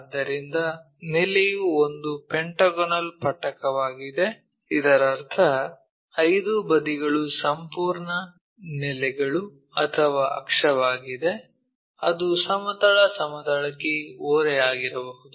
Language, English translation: Kannada, So, either the base is a pentagonal prism that means, 5 sides is entire base or axis, whatever might be that is inclined to horizontal plane